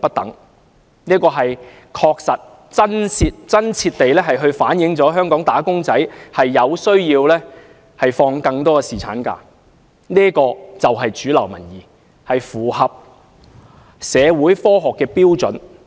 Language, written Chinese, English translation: Cantonese, 調查結果確實和真切地反映香港"打工仔"需要放取更長侍產假，這便是主流民意，亦符合社會和科學標準。, The survey findings have accurately and truthfully reflected the need of Hong Kong employees for longer paternity leave . This is the mainstream public view which is also in line with social and scientific standards